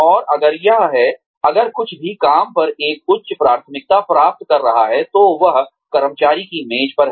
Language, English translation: Hindi, And, if it is, if anything is gaining a higher priority over the work, that is on the employee